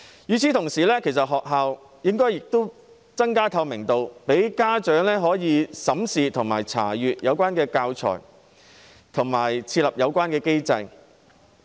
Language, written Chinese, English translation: Cantonese, 與此同時，學校亦應增加透明度，讓家長可以審視和查閱教材，並設立相關機制。, In the meantime schools should also enhance transparency allow parents to examine and inspect teaching materials and put in place relevant mechanisms